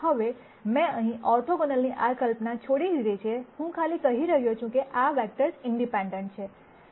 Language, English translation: Gujarati, Now I have dropped this notion of orthogonal here, I am simply saying these vectors are independent